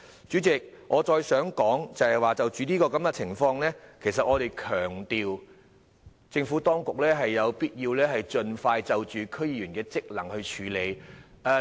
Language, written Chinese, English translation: Cantonese, 主席，我想再說的是，就着這情況，我們強調政府當局有必要盡快處理區議員的職能問題。, President a further point is in this situation we emphasize that it is necessary for the Administration to expeditiously deal with the problem of functions of DC members